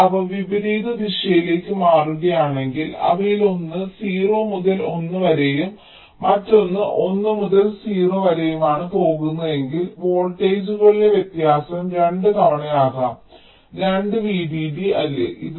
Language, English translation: Malayalam, but if they are switching in the opposite direction, so one of them is going from zero to one and the other is going from one to zero, then the difference in voltages can be twice two